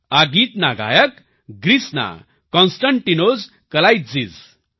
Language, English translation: Gujarati, This song has been sung by the singer from Greece 'Konstantinos Kalaitzis'